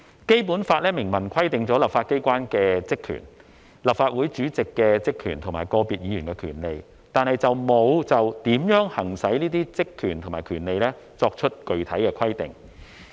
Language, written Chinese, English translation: Cantonese, 《基本法》明文規定立法機關的職權、立法會主席的職權及個別議員的權利，但沒有就如何行使這些職權和權利作出具體的規定。, The Basic Law expressly provides for the powers and functions of the Legislative Council and those of its President and the rights of individual Members . However the Basic Law has not expressly laid down how these powers and functions and rights should be exercised